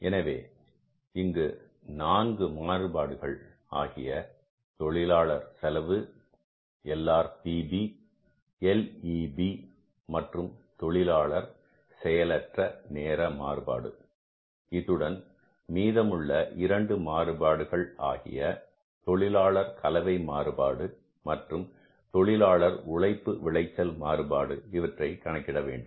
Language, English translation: Tamil, So, after working out these four variances, labor cost LRP, LEB and the labor idle time variance, now we have to calculate the two remaining variances in this case, labor mixed variance and the labor yield variance